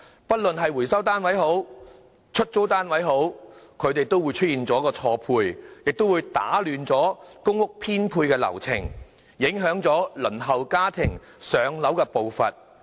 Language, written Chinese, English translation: Cantonese, 不論是回收單位或出租單位出現錯配，也會打亂公屋編配流程，影響輪候家庭"上樓"的步伐。, Any mismatch in recovered units or rental units will upset the PRH allocation process and affect the waiting time of waitlisted applicants